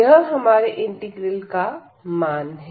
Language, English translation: Hindi, So, that is the answer of this integral